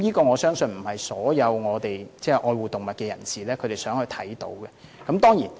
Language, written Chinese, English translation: Cantonese, 我相信這不是所有愛護動物人士都想看到的情況。, I believe this is not the situation that all animal lovers would like to see